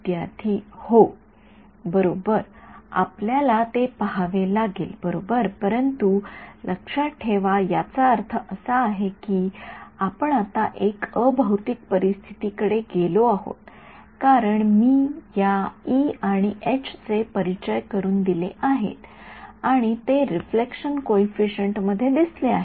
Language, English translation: Marathi, Right so, we have to see that right, but remember I mean this is now we have gone to a non physical situation because I have introduced these e ones and h ones right so, and they have made an appearance in the reflection coefficient